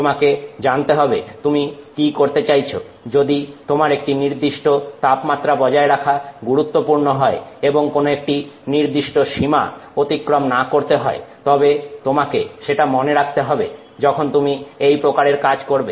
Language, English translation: Bengali, If you are, if it is very important for you to maintain some temperature and not exceed some boundary, then you have to keep that in mind when you do this kind of, you know, activity